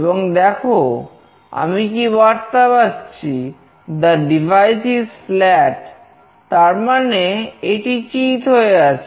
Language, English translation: Bengali, And now see what message is getting displayed, the device is flat, so it is lying flat